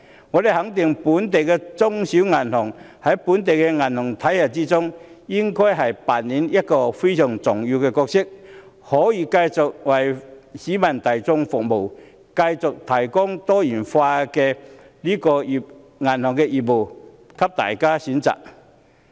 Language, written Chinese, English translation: Cantonese, 我肯定本地的中小型銀行在本地的銀行體系中扮演非常重要的角色，繼續為市民大眾服務，提供多元化的銀行業務，供大家選擇。, I affirm the crucial role local small and medium banks play in our banking system . They should continue to serve the public and provide a variety of services for the public to choose